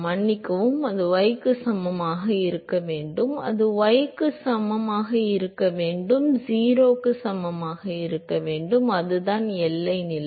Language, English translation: Tamil, Sorry, that should be y equal to 0, right that should be y equal to 0 that is the boundary condition